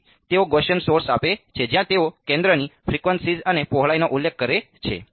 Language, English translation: Gujarati, So, they give a Gaussian source where they specify the centre frequency and the width